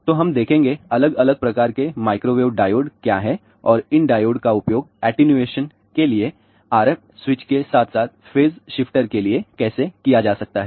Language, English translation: Hindi, So, we will see; what are the different type of microwave diodes are there and how these diodes can be used for attenuation purpose RF switches as well as phase shifters